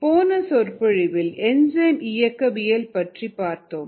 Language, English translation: Tamil, in the last lecture we had looked at enzyme kinetics